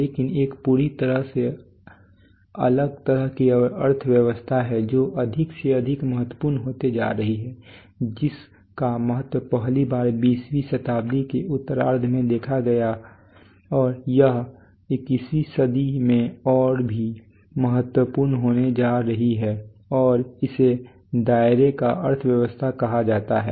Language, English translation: Hindi, But there is a totally different kind of economy which is becoming more and more important in the which is first shown its significance in the latter half of the 20th century and it is going to be all important in the 21st century and that’s called the economy of scope